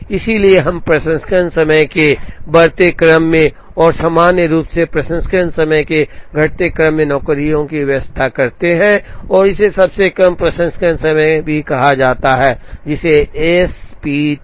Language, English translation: Hindi, Therefore, we arrange the jobs in increasing order of processing times and in general non decreasing order of processing time and this is called shortest processing time also called as S P T